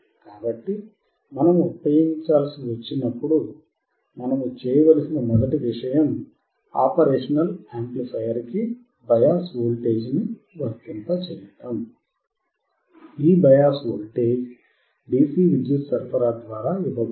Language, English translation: Telugu, So, when we have to use operational amplifier, the first thing that we have to do is apply the biasing voltage, this biasing voltage is given by the DC power supply